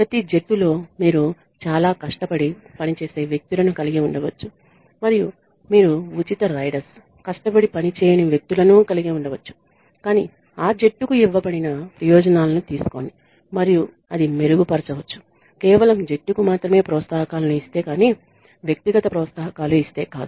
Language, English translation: Telugu, In every team you could have people who work very hard and you could have people who are free riders, who do not work hard, but take the benefits that are given to that team and that could be enhanced if you give only team incentives and not individual incentives ok